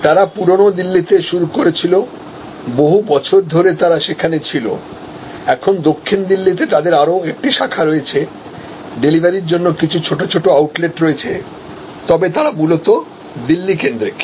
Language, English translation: Bengali, They started in old Delhi, they were there for many years, now they have another branch in South Delhi, some small outlets for delivery, but they are basically Delhi focused